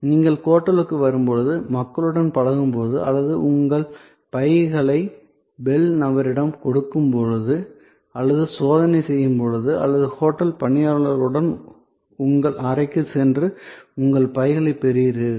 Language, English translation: Tamil, So, when you are interacting with the people when you arrive at the hotel or you give your bags to the bell person or there is a checking in process or you go to your room with the hotel personnel and you receive your bags